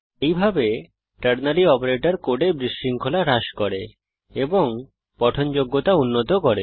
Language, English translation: Bengali, This way, ternary operator reduces clutter in the code and improves readability